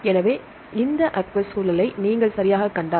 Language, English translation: Tamil, So, if you see this aqueous environment right